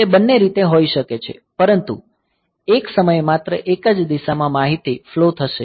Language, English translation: Gujarati, So, it can be both way, but at one point of time only one direction the information will flow